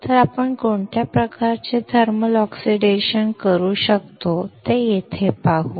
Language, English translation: Marathi, So, let us see here what kind of thermal oxidation can we perform